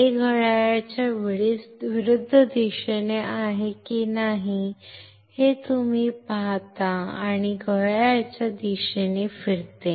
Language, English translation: Marathi, You see if this is anticlockwise, and this moves in a clockwise direction